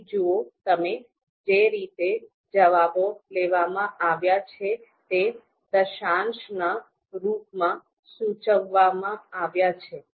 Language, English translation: Gujarati, In the sense the way responses are taken here, they are you know indicated in the decimal format